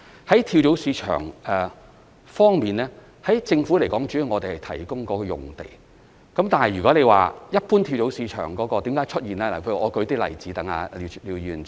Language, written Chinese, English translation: Cantonese, 在跳蚤市場方面，政府主要是提供用地，但說到一般跳蚤市場為何會出現，我想舉一些例子讓廖議員知道。, Concerning flea markets the Governments role is mainly to provide the sites . When it comes to why flea markets emerge in general I wish to cite some examples to give Mr LIAO some understanding about it